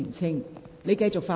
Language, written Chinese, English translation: Cantonese, 請你繼續發言。, Please continue with your speech